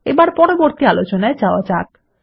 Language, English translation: Bengali, Now, onto our next query